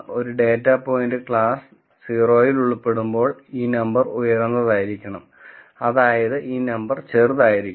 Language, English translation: Malayalam, When a data point belongs to class 0, I still want this number to be high, that means, this number will be small